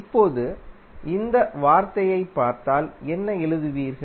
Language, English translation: Tamil, Now, if you see this term, what you will write